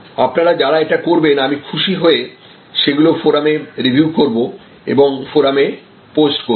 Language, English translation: Bengali, And those of you will be doing it, I will be very happy to review them on the Forum, post them on the Forum